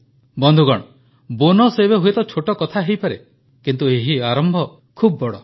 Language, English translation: Odia, Friends, the bonus amount may be small but this initiative is big